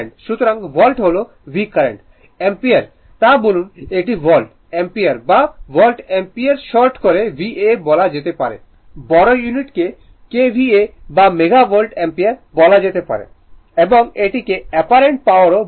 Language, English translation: Bengali, So, volt is V Current is I ampere so, we call it is volt ampere right or you call volt ampere right or is in short we call VA a larger unit will be kilo volt ampere KVA or a mega volt ampere and that this is also called apparent power